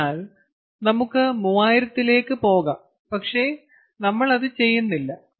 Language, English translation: Malayalam, so we can go and have, we can go to three thousand, but we are not doing that